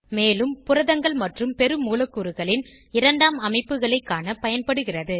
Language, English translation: Tamil, And also * Used to view secondary structures of proteins and macromolecules